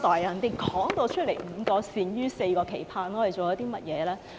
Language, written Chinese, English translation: Cantonese, 夏主任已說明"五個善於"、"四個期盼"，我們做了甚麼呢？, Director XIA has already put forth five essential qualities and four expectations . What have we done?